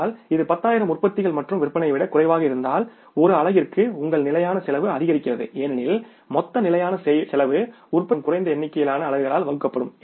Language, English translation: Tamil, But if it is less than 10,000 production and sales your fixed cost per unit increases because the total fixed cost will be divided by the less number of units produced